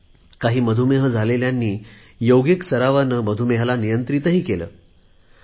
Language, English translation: Marathi, Some diabetic patients have also been able to control it thorough their yogic practice